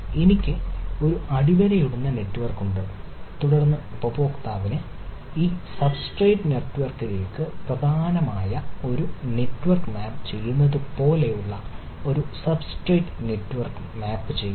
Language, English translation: Malayalam, so i ah, i have a underlining network and then i map a substrate network like why map a virtual network which is main for the user to this substrate network, right